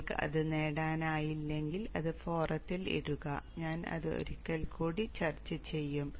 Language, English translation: Malayalam, If you are not able to get it then bring it up in the forum and I will discuss that once again